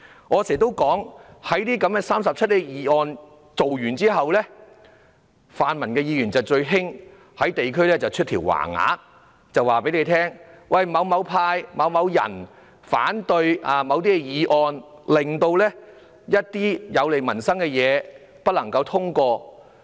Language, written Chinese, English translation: Cantonese, 而泛民議員在提出這些第 37A 段議案後，會經常在他們的選區掛起橫額，指某黨派或某議員反對某些議案，而令一些有利民生的項目不獲通過。, Members from the pan - democratic camp after proposing such 37A motions would often hang banners in their constituencies to state that some political parties or some Members opposition against some motions had rendered certain initiatives beneficial to peoples livelihood not passed